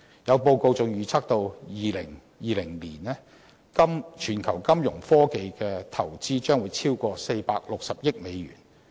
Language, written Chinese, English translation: Cantonese, 有報告還預測到2020年，全球金融科技投資將超過460億美元。, A report predicted that the global investment in Fintech will exceed US46 billion by 2020